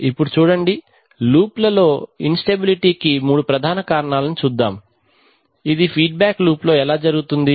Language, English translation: Telugu, So now let us look at three major causes of instability in feedback loops, how does it occur in a feedback loop